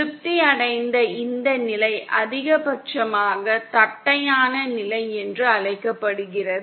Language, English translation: Tamil, This condition that is satisfied is called the maximally flat condition